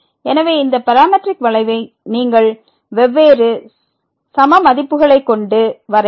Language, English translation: Tamil, So, this parametric curve you can trace by varying the values of